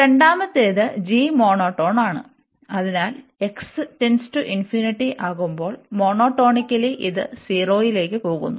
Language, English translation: Malayalam, And the second one then g is monotone, and so monotonically it is going to 0 as x approaching to infinity